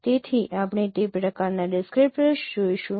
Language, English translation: Gujarati, So, we will see that kind of descriptors